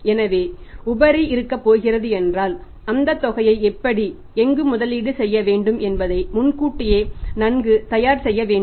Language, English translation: Tamil, So, if there is going to be surplus you have to be prepared well in advance how and where that amount has to be invested